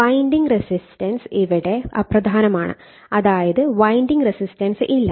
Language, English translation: Malayalam, Winding resistance say are negligible, say there is no winding resistance